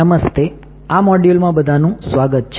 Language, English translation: Gujarati, Hi, welcome to this module